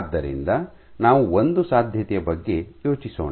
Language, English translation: Kannada, So, let us think of a possibility